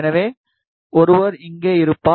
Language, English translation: Tamil, So, one will be here